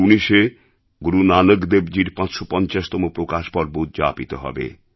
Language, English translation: Bengali, The 550th Prakash Parv of Guru Nanak Dev Ji will be celebrated in 2019